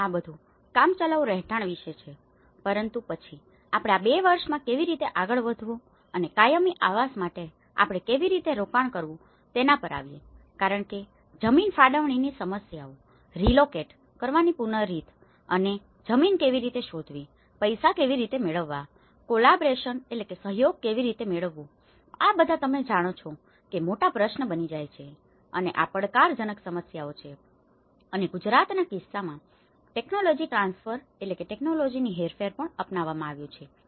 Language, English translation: Gujarati, And this is all about the temporary housing but then when we moved on how in these 2 years, how we have to invest for the permanent housing because the land allocation issues, way to relocate and how to find the land, how to get the money, how to get the collaborations, all these becomes big questions you know and these are challenging issues and this is where the technology transfer also has been adopted in Gujarat case